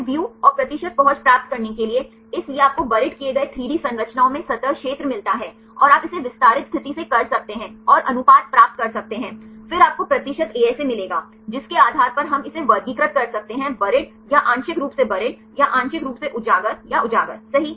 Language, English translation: Hindi, ASAView, and to get the percentage accessibility, so you get the surface area at the buried the 3D structures and you can do it from the extended state and get the ratio, then you will get the percentage ASA, based on that we can classify into buried or partially buried or partially exposed or exposed right